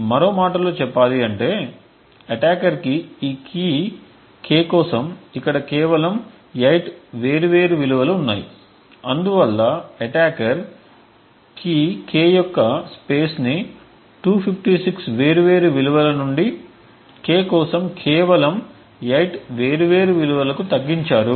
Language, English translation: Telugu, In other words what the attacker would require would end up over here is just 8 different values for this key k thus the attacker has reduced the key space for this from 256 different values of k to just 8 different values for k